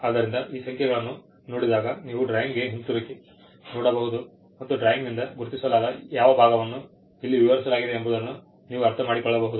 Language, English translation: Kannada, So, it is just how so, when you see these numbers you know you can look back into the drawing and understand which part of the marked drawing is the part that is described here